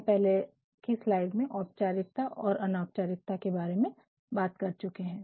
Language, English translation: Hindi, We have already talked about in the previous slide; we have already talked about the differences between formality and Informality